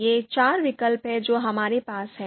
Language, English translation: Hindi, So these are four alternatives that we have